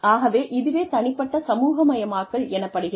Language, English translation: Tamil, So, that is an individual socialization